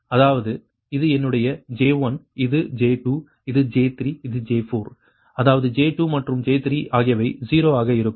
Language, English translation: Tamil, so that means that this is my j one, this is j two, this is j three, this is j four